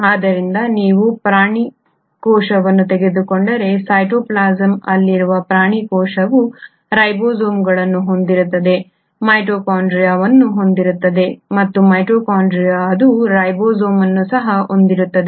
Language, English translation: Kannada, So if you take an animal cell, the animal cell in the cytoplasm will also have ribosomes, will have a mitochondria and within the mitochondria it will also have a ribosome